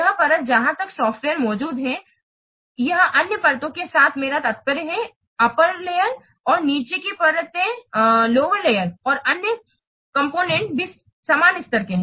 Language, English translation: Hindi, This layer where this software is present, this communicates with other layers, I mean upper layers and below layers and also other components are the same level